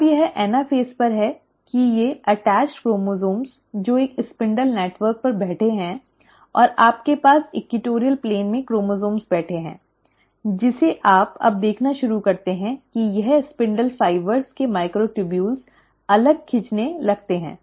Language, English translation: Hindi, Now it is at the anaphase that these attached chromosomes, which are sitting on a spindle network and you have the chromosomes sitting at the equatorial plane, that you now start seeing that this, the microtubules of the spindle fibres start pulling apart